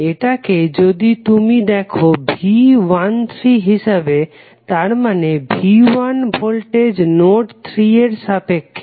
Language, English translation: Bengali, If you say this as a V 13 that means that V 1 voltage with reference to reference number reference node number 3